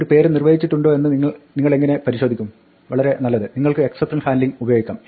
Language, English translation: Malayalam, How would you go about checking if a name is defined, well of course you could use exception handling